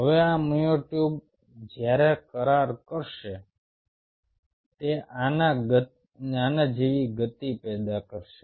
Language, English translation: Gujarati, now these myotubes, while will contract, will generate a motion like this